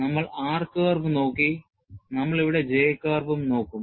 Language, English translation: Malayalam, And, we have looked at r curve, we will also look at J curve, here